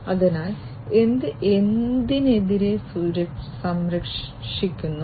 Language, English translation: Malayalam, So, protecting against what